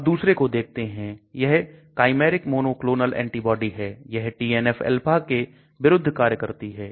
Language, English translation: Hindi, Let us look at another one this is a chimeric monoclonal antibody that works against TNF alpha